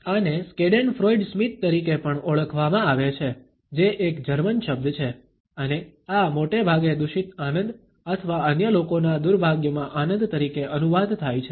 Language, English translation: Gujarati, This is also known as a schadenfreude smile, which is a German word and this translates roughly as a malicious joy or delighting in the misfortune of other people